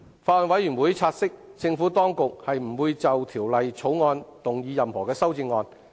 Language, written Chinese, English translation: Cantonese, 法案委員會察悉，政府當局不會就《條例草案》動議任何修正案。, The Bills Committee notes that the Administration will not move any amendment to the Bill